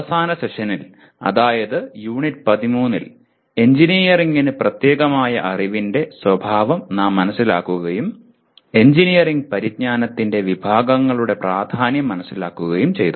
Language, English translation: Malayalam, In the last session that is Unit 13, we understood the nature of knowledge that is specific to engineering and understood the importance of categories of engineering knowledge